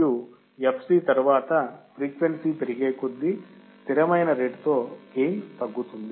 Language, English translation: Telugu, And after the fc, gain decreases at constant rate as the frequency increases